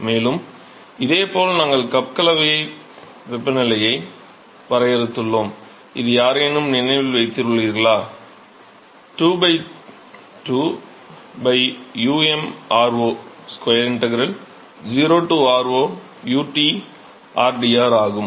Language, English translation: Tamil, And similarly we defined cup mixing temperature which is anyone remember 2 by 2 by U m r0 square integral 0 to r0 u times T time rdr